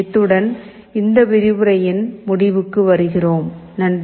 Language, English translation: Tamil, With this we come to the end of this lecture, thank you